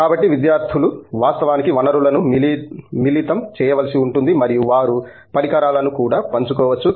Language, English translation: Telugu, So, therefore, like students will have to actually combine the resource and they may be also sharing equipment and so on